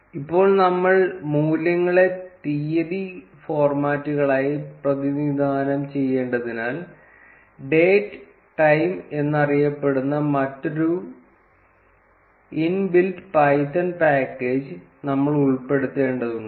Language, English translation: Malayalam, Now since we have to represent the values as date formats, we need to include another inbuilt python package called as datetime